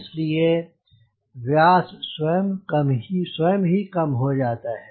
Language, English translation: Hindi, so that will decide the diameter